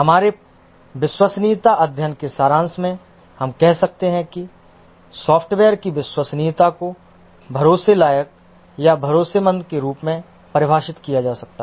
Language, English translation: Hindi, In the summary of our reliability study, we can say that the reliability of a software can be defined as the trustworthiness or dependability